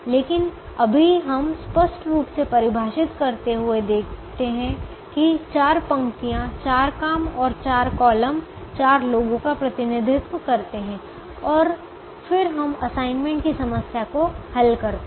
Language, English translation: Hindi, but right now let us look at defining clearly that the four rows represent the four jobs and the four columns the four people, and then let us solve the solve the assignment problem